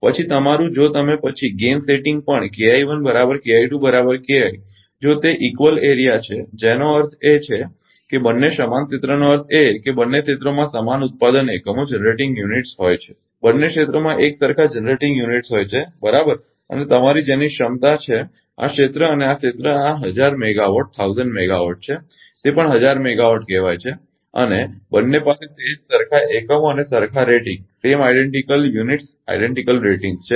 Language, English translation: Gujarati, So, K I 1 is equal to K I 2 is equal to K I if it is equal area; that means, both equal area means both the areas have identical generating units ah both the areas have identical generating units, right and ah your what you and same capacity this area and this area this is thousand megawatt this is also thousand megawatt say and both having the same identical units identical rating